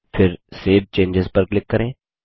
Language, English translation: Hindi, Then click Save Changes